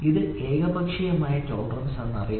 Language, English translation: Malayalam, So, it is known as unilateral tolerance